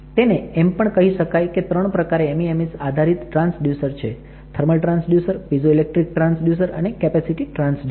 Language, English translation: Gujarati, So, three kind of MEMS based transducer if you want you say thermal transducer, piezoelectric transducer, and you have capacity transducer